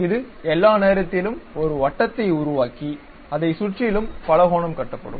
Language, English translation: Tamil, So, it is all the time construct a circle around which on the periphery the polygon will be constructed